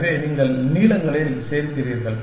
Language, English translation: Tamil, So, you add at the lengths